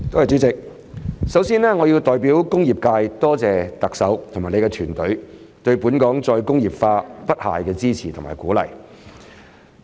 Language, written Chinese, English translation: Cantonese, 主席，首先，我要代表工業界多謝特首和她的團隊對本港再工業化不懈的支持和鼓勵。, President first of all on behalf of the industrial sector I would like to thank the Chief Executive and her team for their unfailing support and encouragement for re - industrialization in Hong Kong